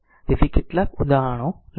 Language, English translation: Gujarati, So, we will take some example